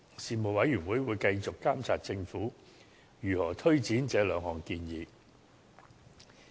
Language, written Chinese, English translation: Cantonese, 事務委員會會繼續監察政府如何推展這兩項建議。, The Panel will continue to monitor the progress of the Government in taking forward these two proposals